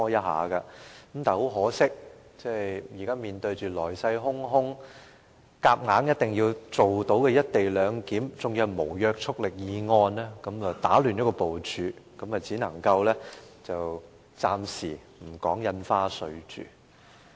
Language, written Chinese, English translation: Cantonese, 很可惜，現在面對來勢洶洶、需要強行落實卻無約束力的"一地兩檢"議案，打亂了部署，只能夠暫停審議《條例草案》。, Unfortunately as we have to deal with the non - binding motion on the co - location arrangement that the Government intends to push through the arrangement is disrupted and we have to suspend the scrutiny of the Bill